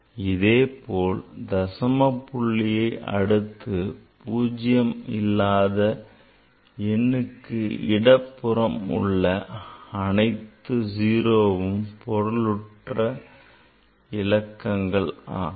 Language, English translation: Tamil, So, to the right of the decimal point and to the left of the non zero digit that whatever zeros are there so they are not significant